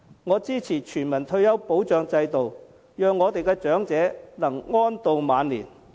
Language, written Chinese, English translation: Cantonese, 我支持全民退休保障制度，讓我們的長者能安度晚年。, I support a universal retirement protection system under which our elderly may lead a secure life in their twilight years